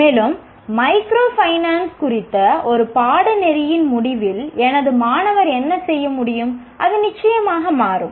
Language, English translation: Tamil, And at the end of a course on microfinance, what should my student be able to do